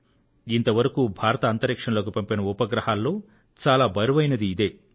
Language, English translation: Telugu, And of all the satellites launched by India, this was the heaviest satellite